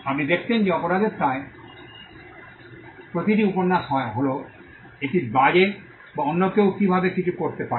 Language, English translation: Bengali, You would have seen that almost every novel in crime could either be a whodunit or how somebody did something